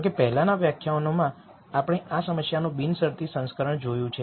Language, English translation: Gujarati, However, in the previous lectures we saw the unconstrained version of this problem